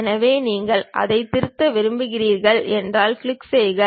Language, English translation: Tamil, So, you want to really edit that one, click that one